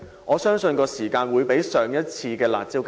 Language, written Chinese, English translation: Cantonese, 我相信其有效時間將較上次"辣招"更短。, I believe the effective period of this curb measure will be even shorter than the previous ones